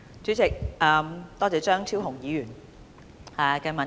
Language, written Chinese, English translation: Cantonese, 主席，多謝張超雄議員的質詢。, President I thank Dr Fernando CHEUNG for his question